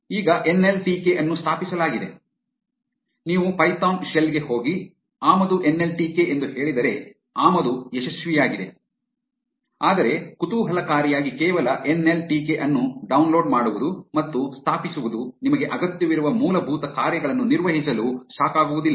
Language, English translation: Kannada, Now, nltk is installed, if you go to the python shell and say import nltk, the import is successful, but interestingly just downloading and installing nltk does not suffice to perform the basic functions that you need